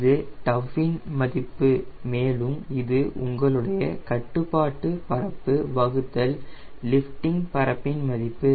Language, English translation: Tamil, this is value of tau and this is your control surface area divided by lifting surface area